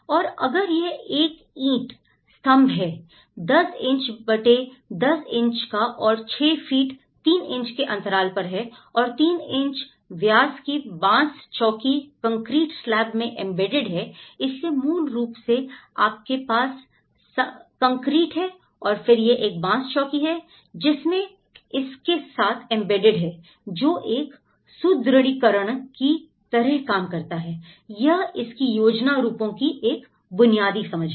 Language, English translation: Hindi, And whereas, if it is a brick pier; 10 inches by 10 inches brick pier and for each this is a 6 feet 3 inches span you are getting and also 3 inch diameter, bamboo post embedded in concrete slab so, basically, you have the concrete and then this is a bamboo post which has been embedded with it that acts like a reinforcement so, this is a basic understanding of the plan forms of it